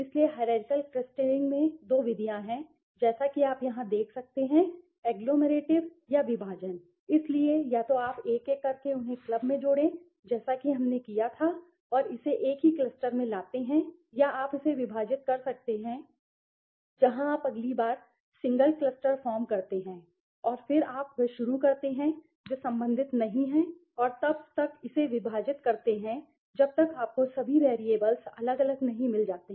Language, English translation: Hindi, So, there two methods in hierarchical clustering as you can see here the agglomerative or divisive right so either you take one by one add them club it as we did and bring it to a single cluster or you can do it divisive method where you first form the single cluster and then you start the one which not related and then go on dividing it till you find all the variables separately right